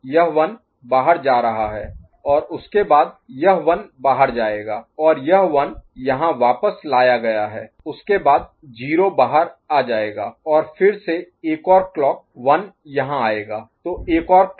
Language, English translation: Hindi, This one is going out and after that this one will come out and this one is fed back here after that 0 will come out and after again another clock 1 will come here